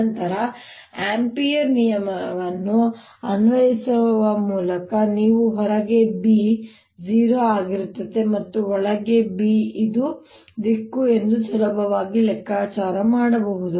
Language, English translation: Kannada, then by applying ampere's law you can easily figure out that b outside will be zero and b inside is going to be